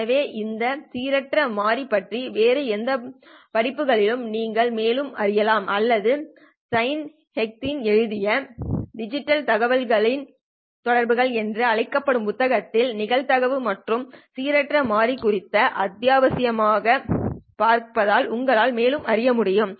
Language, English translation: Tamil, So you can learn more about all this random variables in any of the other courses or you can refer to this chapter on probability and random processes in this book called Digital Communications by Simon Heikin